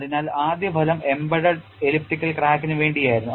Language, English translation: Malayalam, So, first result was for a embedded elliptical crack and what is that they found